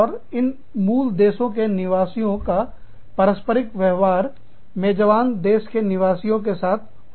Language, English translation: Hindi, And, these parent country nationals, interact with the host country nationals